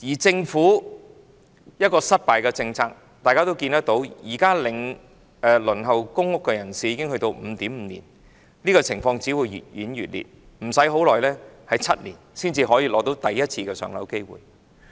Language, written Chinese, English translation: Cantonese, 政府的政策失敗，大家有目共睹，現時的公屋輪候時間已長達 5.5 年，這個問題只會越演越烈，在不久的將來，可能要等待7年才得到第一次"上樓"機會。, The failure of the government policy is obvious to all . At present the waiting time for public rental housing PRH is as long as 5.5 years and the problem will only become worse . In the near future it may take seven years to be allocated a PRH unit for the first time